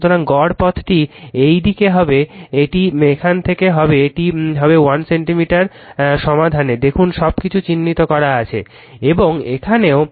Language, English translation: Bengali, So, mean path will be this side it will take from here it will be here to here it is 1 centimeter see carefully everything is marked